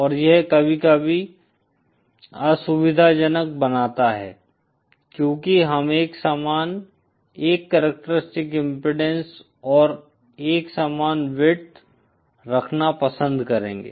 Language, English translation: Hindi, And that makes it sometimes inconvenient because we would prefer to have uniform aa characteristic impedance and also uniform with